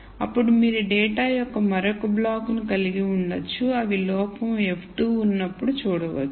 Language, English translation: Telugu, Then you could have another block of data which could have been seen when there is fault f 2 and so on